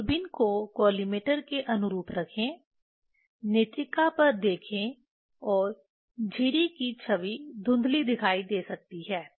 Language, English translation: Hindi, Place the telescope in line with the collimator, look into the eyepiece and the image of the slit may appear blurred